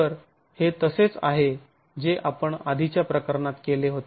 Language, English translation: Marathi, So similar to what we had done in the earlier case